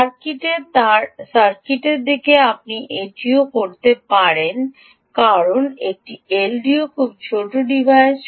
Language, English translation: Bengali, in the circuit you can do that also because an l d o is a very small device